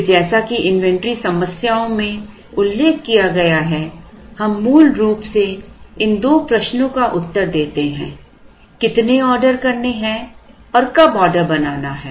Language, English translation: Hindi, Then as mentioned in inventory problems we basically answer these two questions which are how much to order and when to order